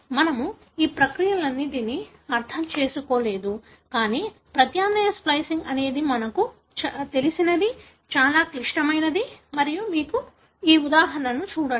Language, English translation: Telugu, We have not understood all these processes, but what we know is the alternative splicing is very, very critical and you look into this example